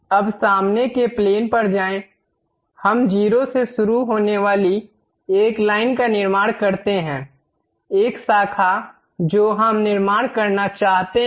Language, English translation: Hindi, Now, go to front plane, let us construct a line beginning with 0, a branching junction we would like to construct